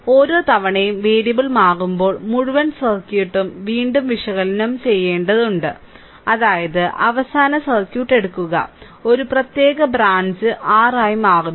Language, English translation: Malayalam, Each time the variable is change right, the entire circuit has to be analyzed again I mean if you take a last circuit and one particular branch say R is changing